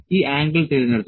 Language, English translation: Malayalam, This angle is selected